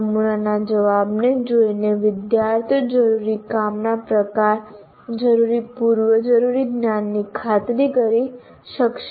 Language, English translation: Gujarati, By looking at the sample answer, the kind of work that is required, the kind of prerequisite knowledge that is required can be ascertained